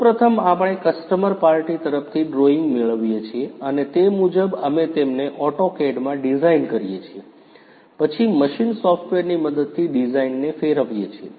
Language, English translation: Gujarati, First of all we get drawings from the customer party and accordingly we design them in AutoCAD, then convert the design with the help of machine software